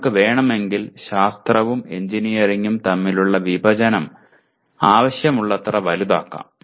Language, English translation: Malayalam, If you want you can make that intersection between science and engineering as large as you want